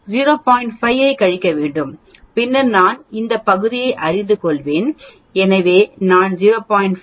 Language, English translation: Tamil, 5 that this portion then I will know this area, so I will subtract 0